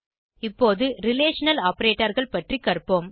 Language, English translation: Tamil, Now, let us learn about Relational Operators